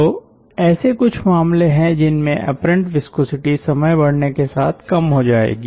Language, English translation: Hindi, so there are cases when the apparent viscosity will decrease with increase in time